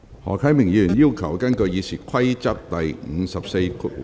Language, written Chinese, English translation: Cantonese, 何啟明議員要求根據《議事規則》第544條......, Mr HO Kai - ming has requested to move a motion in accordance with RoP 544